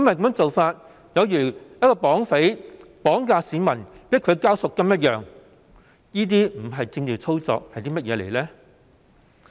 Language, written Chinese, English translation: Cantonese, 這做法有如一名綁匪綁架市民來強迫我們繳交贖金，這不是政治操作又會是甚麼？, Such a practice is indeed very awful and ugly as if a bandit kidnaps a citizen and forces us to pay ransom . If this is not political manoeuvring what else will it be?